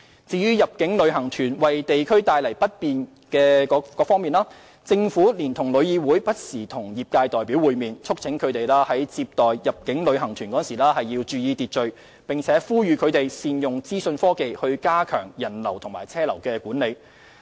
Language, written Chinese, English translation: Cantonese, 至於入境旅行團為地區帶來不便的問題，政府連同旅議會不時與業界代表會面，促請他們接待入境旅行團時注意秩序，並呼籲他們善用資訊科技加強人流和車流管理。, As regards the inconvenience caused by inbound tour groups to certain districts the Government and TIC will meet with representatives from the trade from time to time to urge them to maintain order when receiving inbound tour groups and encourage them to use information technology to strengthen visitor and vehicular flow control